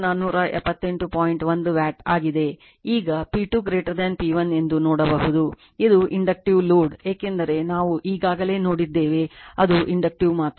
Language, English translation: Kannada, Now, now you can see the P 2 greater than P 1 means, it is Inductive load because already we have seen it is Inductive only